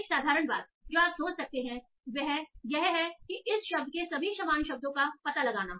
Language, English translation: Hindi, So one simple thing you can think is that find out all the synonyms of this word